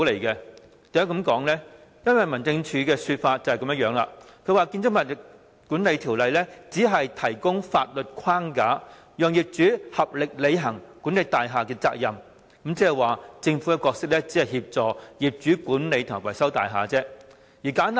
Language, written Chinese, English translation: Cantonese, 因為根據民政事務總署的說法，《條例》只提供法律框架，讓業主合力履行管理大廈的責任，即是說政府只擔當協助業主管理和維修大廈的角色。, It is because according to the Home Affairs Department HAD BMO merely provides a legal framework to enable property owners to jointly discharge their building management responsibility . In other words the Government merely plays the role of assisting property owners in building management and maintenance